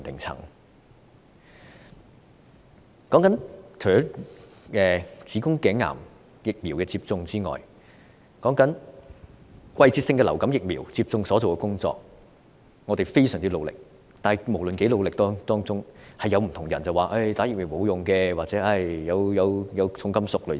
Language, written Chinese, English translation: Cantonese, 除了子宮頸癌疫苗接種外，還有季節性流感疫苗接種工作，我們非常努力去做，但無論我們如何努力，總有人會提出接種疫苗沒有用或疫苗含重金屬等說法。, In addition to HPV vaccination we are working very hard on seasonal flu vaccination but despite our best efforts there are always people who make such remarks as vaccination is useless or the vaccine contains heavy metals